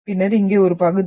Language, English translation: Tamil, And then part over here